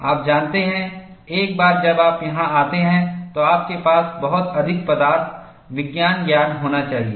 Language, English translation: Hindi, You know, once you come to here, too much of material science knowledge you need to have